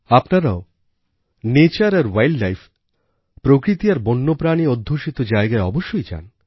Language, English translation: Bengali, You must also visit sites associated with nature and wild life and animals